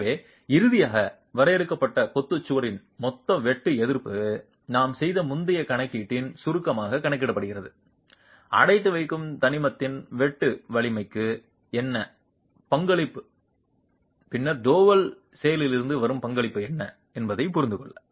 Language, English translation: Tamil, So, finally, the total shear resistance of the confined masonry wall is calculated as a summation of the earlier calculation that we made to understand what is the contribution to shear strength of the confining element and then what is the contribution coming from double action